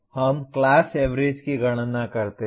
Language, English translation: Hindi, Now we compute the class averages